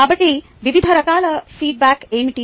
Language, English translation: Telugu, so what are the various forms of feedback